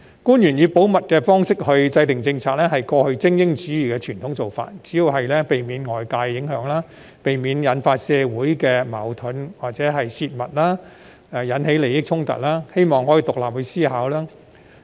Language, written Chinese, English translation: Cantonese, 官員以保密方式制訂政策，是過去精英主義的傳統做法，主要是避免受外界影響、避免引發社會矛盾或因泄密而引起利益衝突，希望可以獨立思考。, It was a traditional practice under elitism for officials to formulate policies with the confidentiality principle . It mainly seeks to ensure independent thinking by avoiding external influence social conflicts or conflicts of interest arising from the disclosure of confidential information